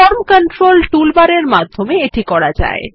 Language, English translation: Bengali, This can be accessed in the Form Controls toolbar